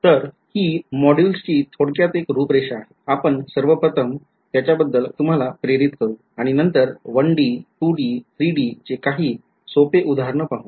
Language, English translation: Marathi, So, there is a sort of outline of this module, we will first of all give a motivation for it and after giving you the motivation for it we will run through some simple 1D, 2D and 3D examples ok